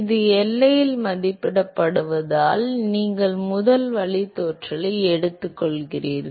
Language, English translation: Tamil, Because it is evaluated at the boundary you take the first derivative